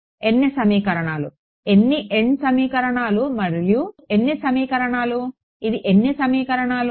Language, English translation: Telugu, n equations, how many n equations and how many equations, how many equations is this